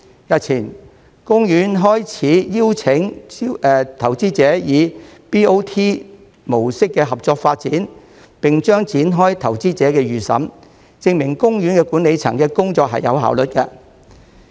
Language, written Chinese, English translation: Cantonese, 日前，公園開始邀請投資者以 BOT 模式合作發展，並將展開投資者預審，證明公園管理層的工作有效率。, Days ago OP began to invite investors to cooperate in the development of OP through a Build - Operate - Transfer BOT model and will commence a pre - qualification exercise and this is proof of the work efficiency of the management